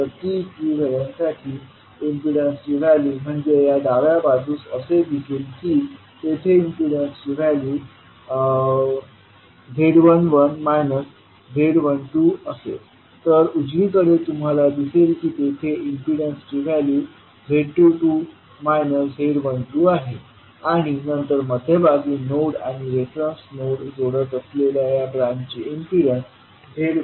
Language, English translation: Marathi, So the values of impedances for T equivalent would be like in the left side you will see there will be the value of Z11 minus Z12 that is the first leg of T, then on the right you will see that is Z22 minus Z12 that is the right leg of the T and then the branch that is Z12, which is connecting the node which is at the centre and the reference node